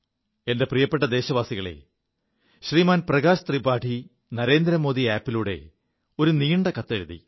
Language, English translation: Malayalam, My dear countrymen, Shri Mangesh from Maharashtra has shared a photo on the Narendra Modi Mobile App